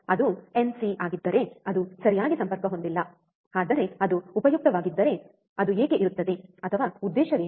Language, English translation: Kannada, If it is nc that is not connected right, but what is the role why it is there if it is it useful, or what is the purpose